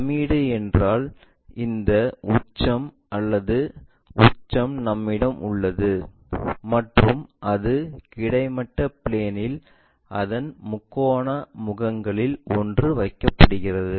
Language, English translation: Tamil, Pyramid means we have this apex or vertex and it is placed on one of its triangular faces on horizontal plane